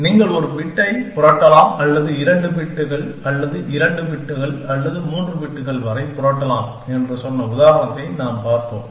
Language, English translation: Tamil, And we saw the example with said, that you can flip 1 bit or you can flip 2 bits or up to 2 bits or 3 bits and so on